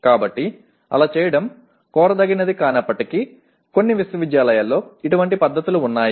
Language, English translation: Telugu, So though it may not be desirable to do so but some universities have such practices